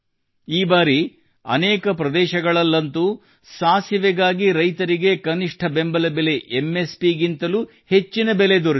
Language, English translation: Kannada, This time in many places farmers have got more than the minimum support price MSP for mustard